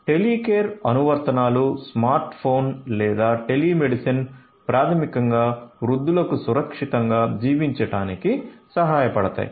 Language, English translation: Telugu, So, Telecare applications, smart phone or telemedicine basically can help elderly people to live safely